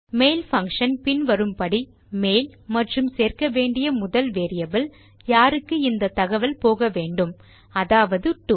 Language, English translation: Tamil, The mail function is as follows mail and the first variable you need to include is who this message is to